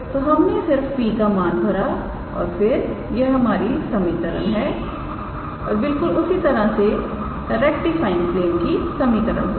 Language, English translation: Hindi, So, we just substituted the value of P and the tangent and then that is the equation and similarly the equation of the rectifying plane can be given by this way